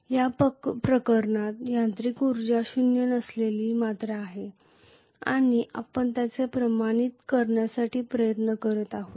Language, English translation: Marathi, In this case the mechanical energy is a non zero quantity and we are trying to quantify it